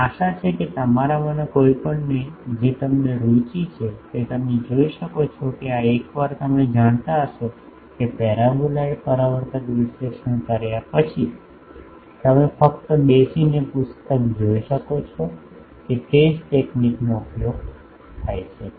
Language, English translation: Gujarati, And hopefully any of you those who are interested you can see that these are once you know that paraboloid reflector analysis, you can just sit down and see books to do that it is same technique is used